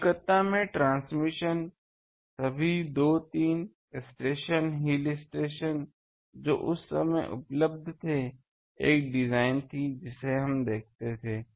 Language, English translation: Hindi, In Calcutta, the transmission is that in Calcutta all the two, three stations, hill stations that time available, one design we look at up to that